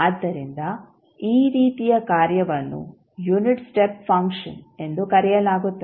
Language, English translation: Kannada, So, this kind of function is called unit step function